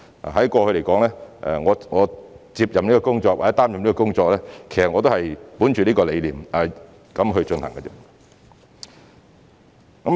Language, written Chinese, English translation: Cantonese, 我過去接任或擔任局長的工作，其實也是本着此理念去做的。, In fact I have been following this ideology since I took up the post of Secretary